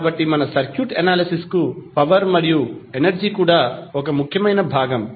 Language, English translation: Telugu, So, the power and energy is also important portion for our circuit analysis